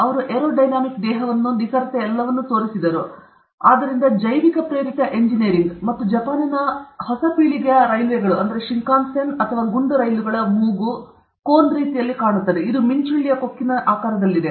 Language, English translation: Kannada, So, they figured out the aero dynamic body, the precision all, this; so, it is bio inspired, bio inspired engineering and the Japanese Railway figured out a way by which now the nose cone of the new generation Shinkansen or the bullet train, it is shaped like the beak of a kingfisher